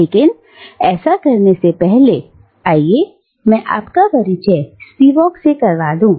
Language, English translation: Hindi, But before we do that, let me introduce Spivak to you